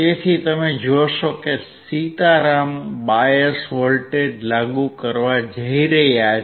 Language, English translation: Gujarati, So, you will see that Sitaram is going to apply the bias voltage